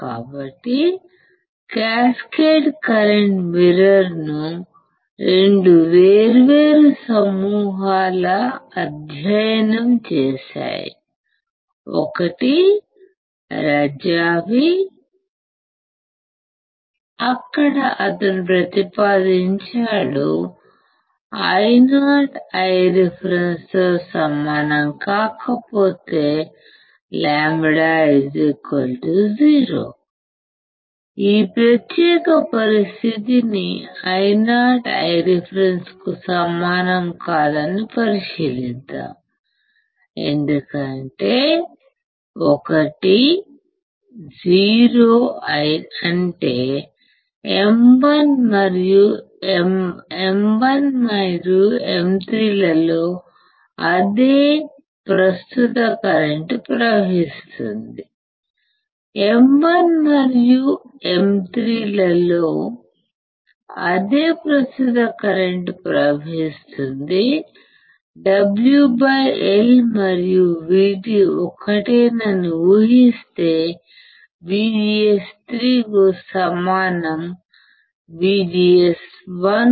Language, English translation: Telugu, So, cascaded current mirror were studied by 2 different groups, one is Razavi where he proposes that, if Io is not equals to I reference if lambda equals to 0, let us consider this particular condition Io is not equals to I reference, because if lambda equals to 0, that is same current flows in M 1 and M 3, same current flows in M 1 and M 3, assuming W by L and V T are same VGS 3, equals to VGS 1 correct, what it says